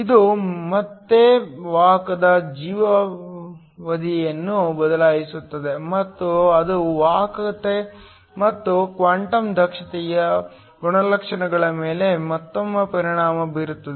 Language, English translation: Kannada, This will again change the carrier life time and that will again affect properties like the conductivity and also the quantum efficiency